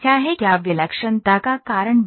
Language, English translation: Hindi, What causes singularity